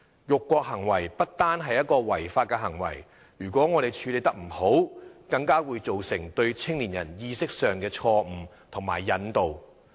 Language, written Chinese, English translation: Cantonese, 辱國行為不單是一種違法行為，如果我們處理不當，更會造成對青年人意識上的錯誤引導。, Not only is insulting the country an illegal act; dealing with this improperly can even mislead young people